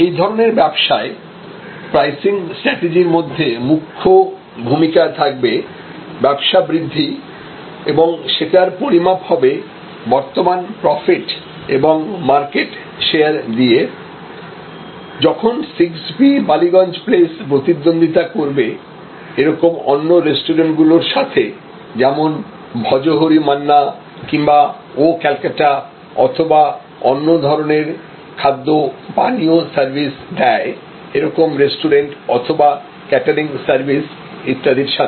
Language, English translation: Bengali, Now, for pricing strategy of such a business, one fundamental consideration will be growth and growth which will be measured in terms of current profit and growth in terms of market share, when 6 Ballygunge place competes with similar other restaurants like Bhojohori Manna or like Oh Calcutta or they compete with alternative food and beverage services like other restaurants, other catering services and so on